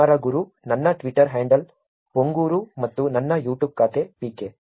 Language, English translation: Kannada, kumaraguru, my Twitter handle is ponguru and my YouTube account is PK